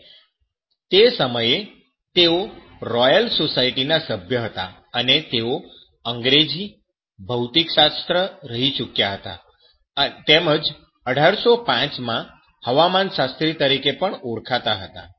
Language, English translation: Gujarati, And he was at that time the fellow of the royal society and he was English, physicist and was called as a meteorologist in 1805